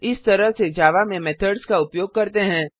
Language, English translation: Hindi, This is how methods are used in java